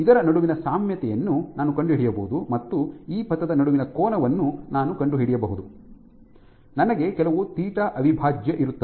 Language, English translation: Kannada, I can find out similarly between this I can find out the angle between this trajectory here, I will have some theta prime